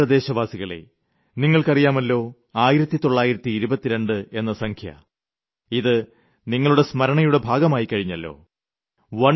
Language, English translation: Malayalam, My dear countrymen, you already know that number 1922 …it must have become a part of your memory by now